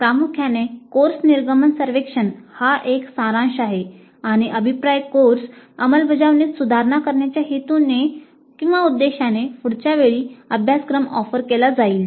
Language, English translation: Marathi, So primarily the course exit survey is a summative one and the feedback is for the purpose of improving the course implementation the next time the course is offered